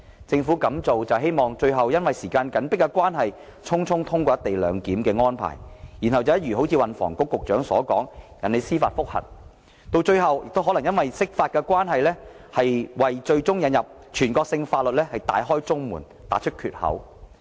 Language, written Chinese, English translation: Cantonese, 政府這樣做無非是想最終會因時間緊迫，而令"一地兩檢"安排得以匆匆通過，然後便如運輸及房屋局局長所說，引起司法覆核，甚至可能因釋法而為引入全國性法律大開中門，打開缺口。, The Government has adopted this approach in the hope that the co - location arrangement will eventually be pushed through due to the pressing time frame . Then as pointed out by the Secretary for Transport and Housing if a judicial review is filed and even leads to the interpretation of the Basic Law the door may be opened for national laws to be applicable to Hong Kong